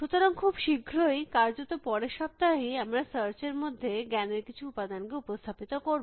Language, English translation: Bengali, So, very soon in fact, in the next week itself, we will introduce some element of knowledge into search